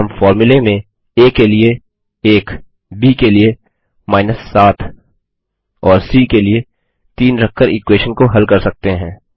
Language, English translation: Hindi, And we can solve the equation by substituting 1 for a, 7 for b, and 3 for c in the formula